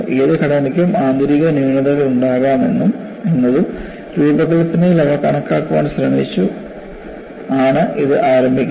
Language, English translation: Malayalam, It starts with the premise, that any structure can have internal flaws and it attempts to account for them in design